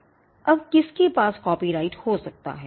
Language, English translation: Hindi, Now, who can have a copyright